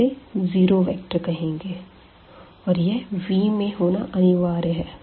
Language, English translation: Hindi, So, this is called the zero vector and this must be there in the set V